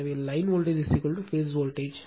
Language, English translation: Tamil, So, line voltage is equal to phase voltage